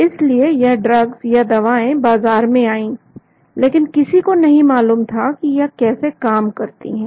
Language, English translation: Hindi, hence the drugs came into the market, but nobody knew how they acted